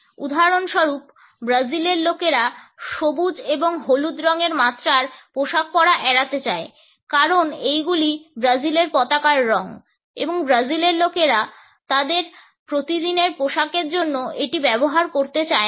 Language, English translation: Bengali, For example, in Brazil people tend to avoid wearing shades of green and yellow because these are the colors of the Brazilian flag and the people of brazil do not want to use it for their day to day apparels